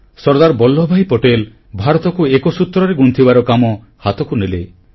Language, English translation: Odia, Sardar Vallabhbhai Patel took on the reins of weaving a unified India